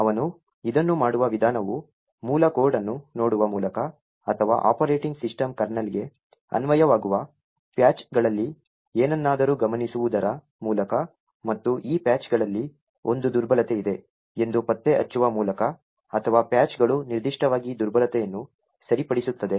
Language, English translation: Kannada, The way he do to this is by looking at the source code or by noticing something in the patches that get applied to the operating system kernel and find out that there is a vulnerability in one of these patches or the patches actually fix a specific vulnerability